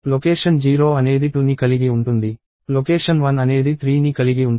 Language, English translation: Telugu, Location 0 is going to contain 2; location one is going to contain 3